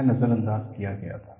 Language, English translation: Hindi, What was ignored